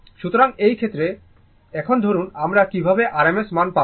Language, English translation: Bengali, So, in this case, suppose now how we will get the r m s value